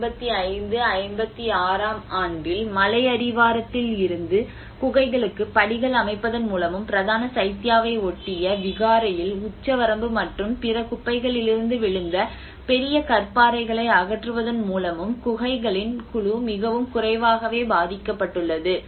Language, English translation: Tamil, \ \ And in 1955 56, so has been very little known group of caves were affected by the construction of steps to the caves from hilltop and removal of huge boulders fallen from the ceiling and other debris in the Vihara adjoining the main Chaitya